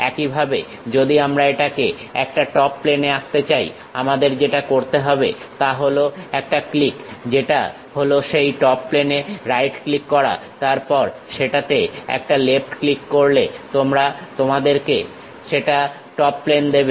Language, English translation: Bengali, Similarly, if we are going to draw it on top plane what we have to do is give a click that is right click on that Top Plane, then give a left click on that gives you top plane